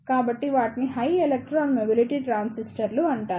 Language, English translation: Telugu, So, here is a structure of high electron mobility transistor